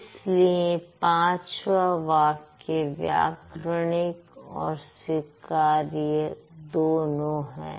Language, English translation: Hindi, So, the fifth one is grammatical as well as acceptable